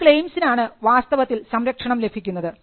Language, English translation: Malayalam, The claims are actually for what the protection is granted